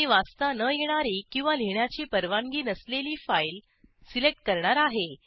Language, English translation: Marathi, I will select a file, which is not a readable file or which does not have write permission